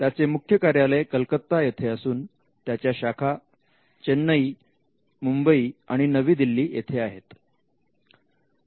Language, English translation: Marathi, The headquarters is in Kolkata, and there are branches in Chennai, Mumbai, and New Delhi